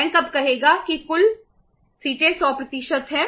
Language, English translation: Hindi, Bank would say now the total seats are 100%